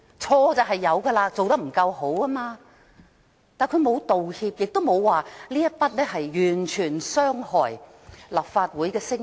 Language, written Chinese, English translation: Cantonese, 他的確有錯，做得不夠好，但他沒有道歉，亦沒有說這完全傷害立法會的聲譽。, He has made mistakes by not doing a good job but he has not apologized and admitted that his act would undermine the reputation of the Legislative Council